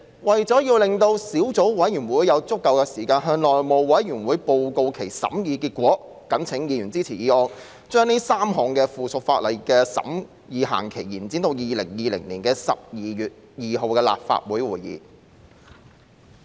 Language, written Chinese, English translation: Cantonese, 為了讓小組委員會有足夠時間向內務委員會報告其審議結果，謹請議員支持議案，將該3項附屬法例的審議期限，延展至2020年12月2日的立法會會議。, To allow the Subcommittee sufficient time to report to the House Committee the result of its deliberation I call upon Members to support this motion to extend the period for deliberation of the three pieces of subsidiary legislation to the meeting of the Legislative Council on 2 December 2020 . RESOLVED that in relation to the― a Closed Area Order Commencement Notice published in the Gazette as Legal Notice No